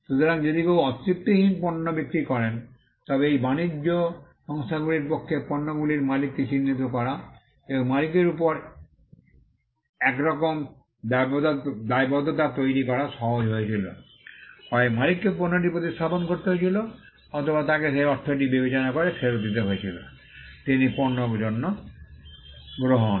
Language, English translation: Bengali, So if someone sold unsatisfactory goods then, it was easy for these trade organizations to identify the owner of those goods and cause some kind of liability on the owner, either the owner had to replace the goods or he had to give back the consideration the money, he received for the goods